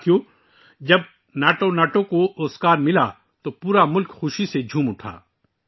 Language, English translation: Urdu, Friends, when NatuNatu won the Oscar, the whole country rejoiced with fervour